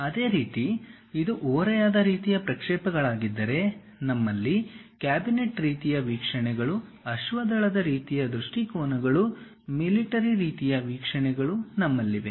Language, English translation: Kannada, Similarly if it is oblique kind of projections, we have cabinet kind of views, cavalier kind of views, military kind of views we have